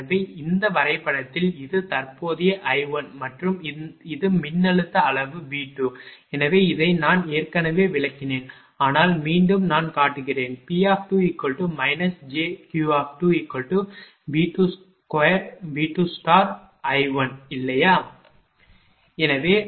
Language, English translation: Tamil, So, in this diagram this is the current I 1 and this is the voltage magnitude V 2 therefore, this already I have explained, but once again I am showing, P 2 minus j Q 2 is equal to V 2 conjugate I 1, right